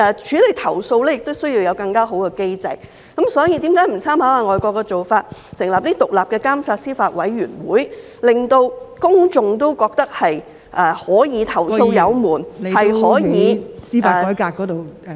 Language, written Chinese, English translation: Cantonese, 處理投訴亦需要有更好的機制，所以，為甚麼不參考外國的做法，成立獨立監察司法委員會，令公眾認為投訴有門，是可以......, A better mechanism is also necessary for addressing complaints . Hence why should we not draw reference from foreign practices and set up an independent judiciary monitoring committee so that the public will see an avenue for lodging complaints and there can be